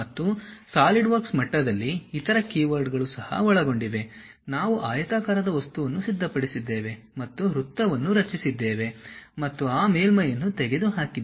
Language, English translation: Kannada, And there are other keywords also involved at Solidworks level, something like we have this object somehow we have prepared from rectangular thing, and somehow we have created a circle and remove that surface